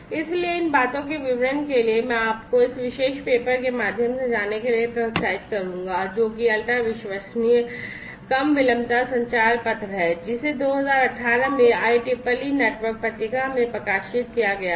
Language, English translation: Hindi, So, for details of these things I would encourage you to go through this particular paper which is the achieving ultra reliable low latency communication paper which has been published in the IEEE network magazine in 2018